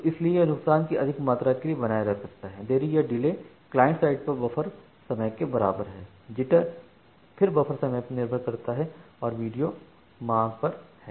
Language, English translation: Hindi, So, that is why it can sustain for more amount of loss the delay is equals to the buffer time at the client side jitter is again depends on the buffer time and the video is on demand